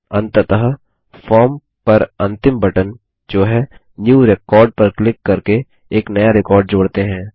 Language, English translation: Hindi, Finally, let us add a new record by clicking on the last button on the form which is New record